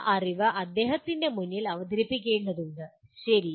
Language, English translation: Malayalam, That knowledge will have to be presented to him, okay